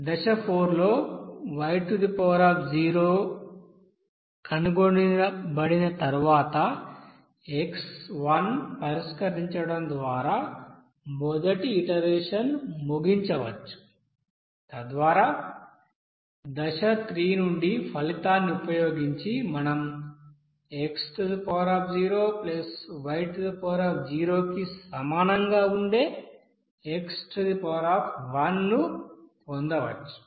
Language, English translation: Telugu, And then in step 4, once y0 is found, we can now proceed to finish the first iteration, by solving for x1 thus using the result from the step 3, then we can get x1 will be equals to x0 + y0